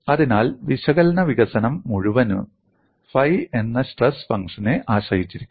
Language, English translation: Malayalam, So, the whole of analytical development hinges on what is the stress function phi